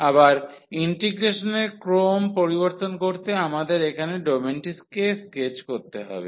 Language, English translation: Bengali, So again to change the order of integration we have to sketch the domain here